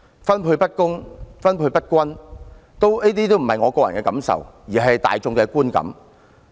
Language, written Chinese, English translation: Cantonese, 分配不公、分配不均，這不是我個人感受，亦是大眾的觀感。, I am not the only one who considers the Governments distribution unfair and uneven; the general public also have the same feeling